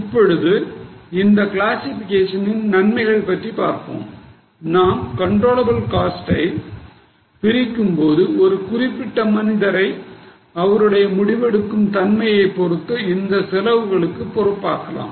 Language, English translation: Tamil, Now, the advantage of this classification is, when we segregate controllable cost, we can make that particular person responsible only for those costs which are controllable within his or her decisions